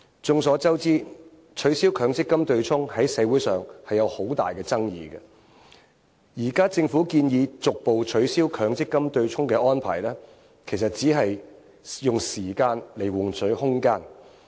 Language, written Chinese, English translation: Cantonese, 眾所周知，取消強積金對沖在社會上有很大爭議，現在政府建議逐步取消強積金對沖的安排，其實只是用時間換取空間。, All of us know that the abolition of MPF offsetting mechanism has aroused heated debate in society . The Governments proposal to gradually abolish the offsetting arrangement is merely an attempt to buy time